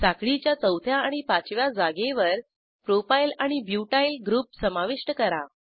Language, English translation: Marathi, Add Propyl and Butyl groups at the fourth and fifth positions of the chain